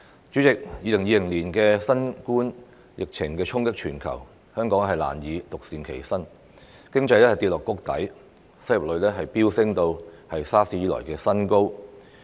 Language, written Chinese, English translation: Cantonese, 主席 ，2020 年的新冠疫情衝擊全球，香港難以獨善其身，經濟跌至谷底，失業率飆升至 SARS 以來的新高。, President the novel coronavirus pandemic swept across the world in 2020 and Hong Kong cannot be spared . Our economy has hit the rock bottom with the unemployment rate surged to a record high since the outbreak of SARS